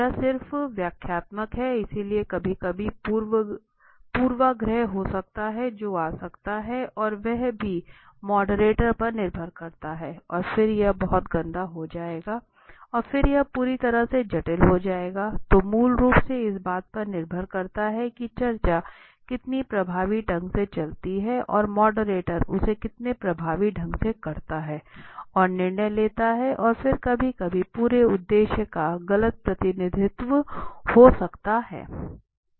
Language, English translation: Hindi, It is just exploratory so that is the sometimes there can be bias that can come in and that is also come in the depends on the moderator and then it will become very messy in the moderate and then it will be complicate in the whole thing so basically depends on how effectively the discussion goes on right then and how effectively the moderator does it and the decision making and then it is some time the whole objective is the mis represented may be possible